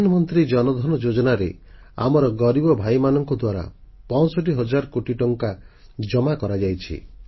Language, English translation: Odia, In the Pradhan Mantri Jan Dhan Yojna, almost 65 thousand crore rupees have deposited in banks by our underprivileged brethren